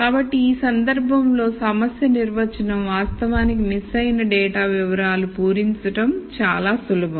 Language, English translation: Telugu, So, in this case the problem definition is actually fill in missing data records very simple